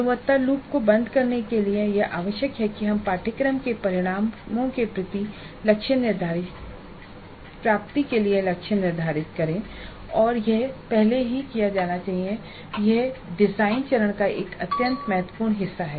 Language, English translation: Hindi, So this is closing the quality loop and in order to do this it is necessary that we must set attainment targets for the course outcomes and this must be done upfront and this is part of the design phase an extremely important part of the design phase